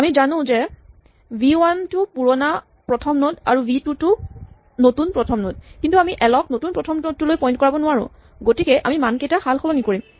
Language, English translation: Assamese, So, we know now that v 1 is the old first node and v is a new first node, but we cannot make l point to the new first node, so we exchange the values